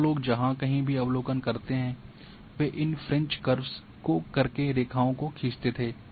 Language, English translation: Hindi, And people wherever the observations are there they used to fit these french curves and then draw the lines